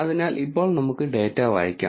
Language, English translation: Malayalam, So, now let us read the data